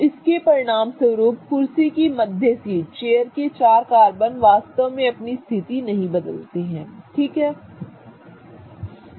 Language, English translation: Hindi, So, as a result of which the middle seat of the chair, the four carbons of the chair do not really change their position